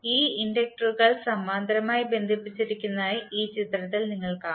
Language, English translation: Malayalam, So in this figure you will see that these inductors are connected in parallel